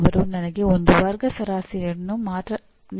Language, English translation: Kannada, They give me one class average